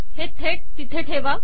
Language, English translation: Marathi, Insert it directly